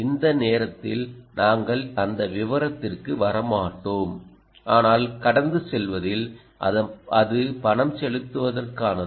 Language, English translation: Tamil, we will not get into that detail at the moment, but in passing, it is meant for payments